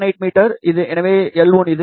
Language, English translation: Tamil, 78 meter, so L 1 is this